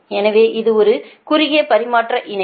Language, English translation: Tamil, so this is a short line model